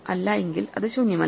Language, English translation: Malayalam, If it is not none, it is not empty